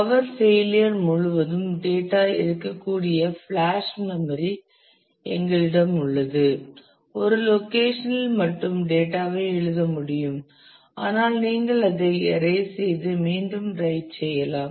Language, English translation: Tamil, We have flash memory where the data can survive across power failure; it can be they had data can be written at a location only once, but you can erase and write it again